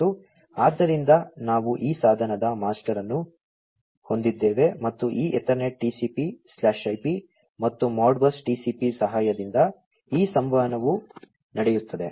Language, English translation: Kannada, And, so, we have this device master and this communication will be taking place, with the help of this Ethernet TCP/IP, and Modbus TCP